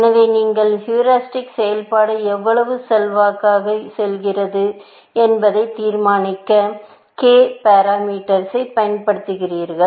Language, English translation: Tamil, So, you use a parameter k to decide, how much influence the heuristic function has